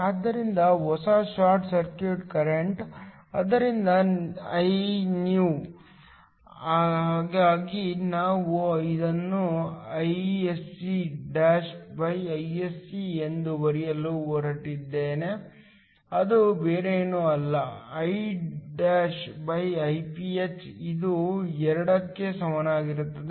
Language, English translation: Kannada, So, the new short circuit current, so Iscnew, so I am going to write it Isc'Isc is nothing but Iso', Iph which is equal to 2